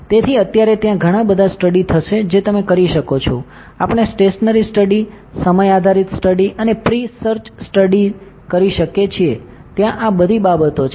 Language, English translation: Gujarati, So, for the time being there will lot of study that you can perform, we can perform stationary study, time dependent study and pre search studies are there all those things